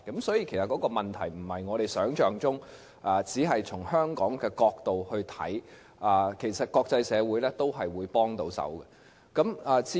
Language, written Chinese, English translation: Cantonese, 所以，問題不是我們想象中般只是從香港的角度去看，其實國際社會也會給予幫助。, Therefore this issue should not be considered merely from the perspective of Hong Kong as we have perceived for actually the international community will also provide assistance